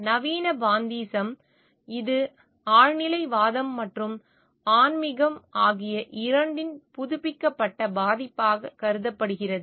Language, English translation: Tamil, Modern pantheism, it is considered to be an updated version of both transcendentalism and animism